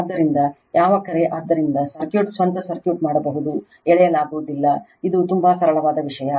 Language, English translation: Kannada, So, you are what you call, so circuit you can do of your own circuit is not drawn it is very simple thing right